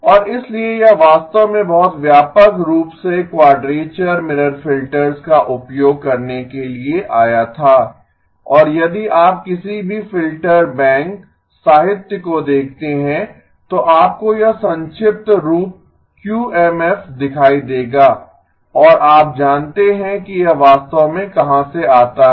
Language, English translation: Hindi, And so this actually came to be used very widely quadrature mirror filters and if you look at any of the filter bank literature, you will see this acronym QMF and you know where it exactly comes from